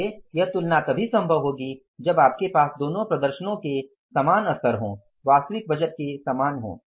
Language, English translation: Hindi, So that comparison will be feasible only if you have the same level of both the performances